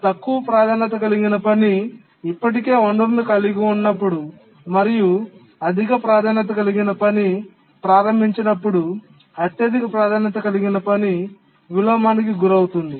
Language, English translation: Telugu, But the highest priority task would suffer inversion when a low priority task is already holding a resource and the high priority task becomes enabled